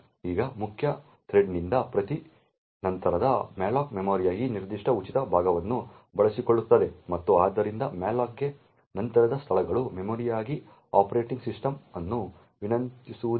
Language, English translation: Kannada, Now every subsequent malloc from the main thread would then utilise this particular free part of memory and therefore subsequent locations to malloc would not be actually requesting the operating system for the memory